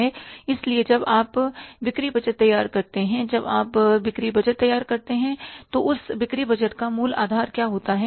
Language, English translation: Hindi, So, when you prepare the sales budget, when you prepare the sales budget, what is the basic promises for that sales budget